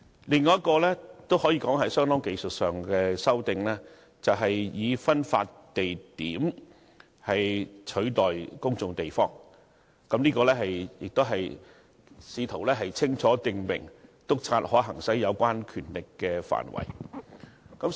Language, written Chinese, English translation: Cantonese, 另一項可以說是相當技術性的修訂，以"分發地點"取代"公眾地方"，試圖清楚訂明，督察可行使有關權力的範圍。, Another rather technical amendment is the replacement of public place by distribution point . It seeks to clearly define the areas where inspectors can exercise their powers